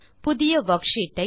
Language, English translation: Tamil, Create new worksheets